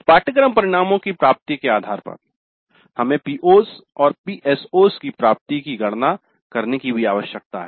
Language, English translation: Hindi, Based on the attainments of the course outcomes we need also to compute the attainment of POs and PSOs